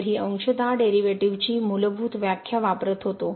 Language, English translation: Marathi, So, this was using the basic definition of or the fundamental definition of partial derivatives